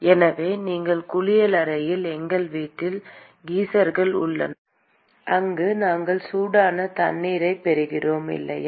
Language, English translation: Tamil, So we have geysers at our residence in our bathroom where we get hot water, right